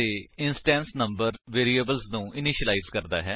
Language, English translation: Punjabi, It can initialize instance member variables of the class